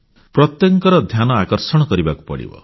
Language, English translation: Odia, Everyone's attention will have to be drawn